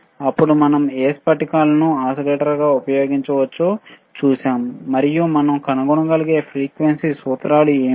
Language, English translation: Telugu, tThen we have seen how we can use this crystal as an oscillator and what are the kind of frequency formulae that we can find